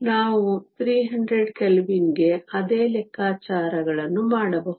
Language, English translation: Kannada, We can do the same calculations for 300 Kelvin